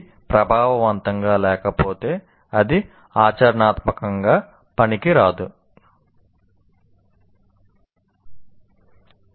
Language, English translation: Telugu, If it is not effective, it is practically useless